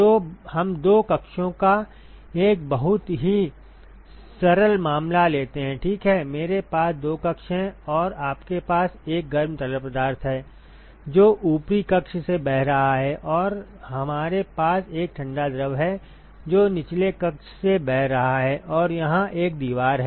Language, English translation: Hindi, So, let us take a very simple case of two chambers ok, I have two chambers and you have a hot fluid, which is flowing through let us say the upper chamber and we have a cold fluid which is flowing through the lower chamber and you have a wall here